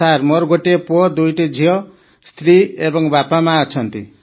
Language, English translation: Odia, And Sir, I have a son, two daughters…also my wife and parents